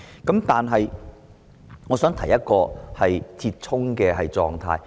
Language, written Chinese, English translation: Cantonese, 然而，我想提出一個折衷的做法。, However I would like to suggest an expedient measure